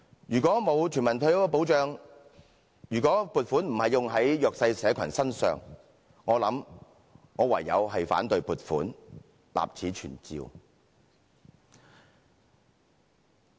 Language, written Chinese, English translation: Cantonese, 如果沒有全民退休保障，如果撥款並非用在弱勢社群身上，我想我唯有反對撥款，立此存照。, If there is no universal retirement protection and if the funding is not allocated for the underprivileged I can only resort to voting against the appropriation . Please put my words on record